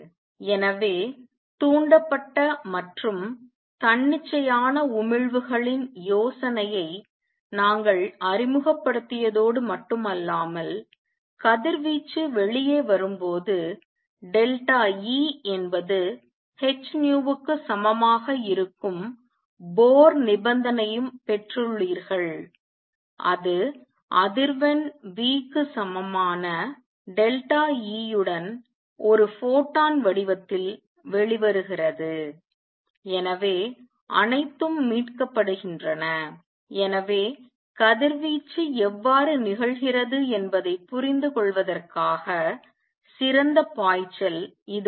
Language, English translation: Tamil, So, not only we have introduced the idea of stimulated and spontaneous emissions you have also got the Bohr condition the delta E is equal to h nu when the radiation comes out it comes out in the form of a photon with frequency nu equals delta E over h; so all that is recovered, so this was the great leap towards understanding how radiation takes place